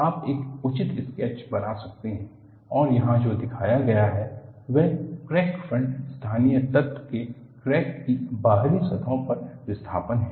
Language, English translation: Hindi, You can make a reasonable sketch and what is shown here is, displacement of the crack surfaces of a local element containing the crack front